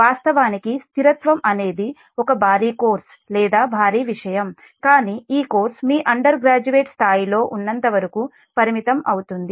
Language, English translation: Telugu, actually, stability itself is a huge course, or huge, huge thing, but will restrict to, for as far as this course is concerned, at your at undergraduate level